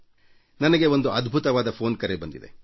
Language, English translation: Kannada, I have received an incredible phone call